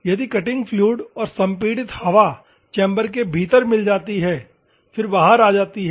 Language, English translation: Hindi, If the cutting fluid, as well as the compressed air mixes within the chamber, then comes out